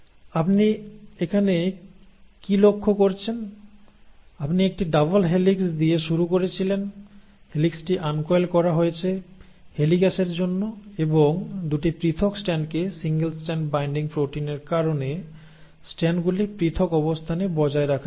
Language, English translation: Bengali, So what do you notice here is, you started with a double helix, the helix got uncoiled, thanks to the helicase and the 2 separated strands were maintained in a separate position because of the single strand binding proteins